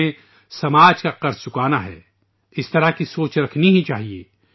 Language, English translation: Urdu, We have to pay the debt of society, we must think on these lines